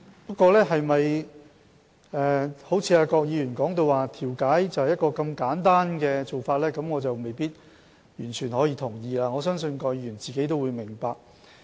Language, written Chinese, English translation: Cantonese, 不過，調解是否如郭議員所說，是很簡單的做法，我未必完全同意，而我相信郭議員自己也明白。, However I may not totally agree with Dr KWOK that mediation is a very simple thing to do . I believe Dr KWOK understands it himself